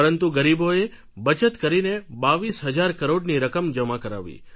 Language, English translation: Gujarati, But these poor people saved money and deposited a sum of 22,000 crores